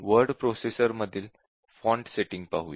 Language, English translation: Marathi, Let us look at this font setting in a word processor